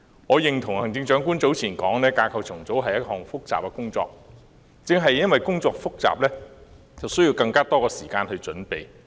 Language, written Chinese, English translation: Cantonese, 我認同行政長官早前所說，架構重組是一項複雜工作，但正因工作複雜，便需要更多時間準備。, I share the point made by the Chief Executive earlier that is restructuring is a complicated task . But precisely because it is complicated you need more time to make preparations